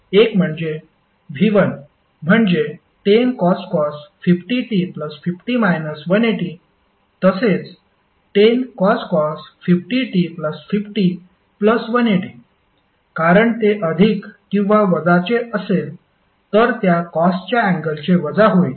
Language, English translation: Marathi, 1 is V1 is equal to 10 cost 50 t plus 50 degree minus 180 degree as well as 10 cost 50 t plus 50 degree plus 180 degree because whether it is plus or minus your output would be minus of cost of that angle